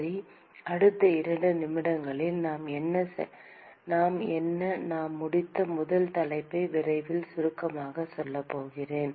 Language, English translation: Tamil, Okay, so, I am going to quickly summarize in the next couple of minutes what we the first topic that we have finished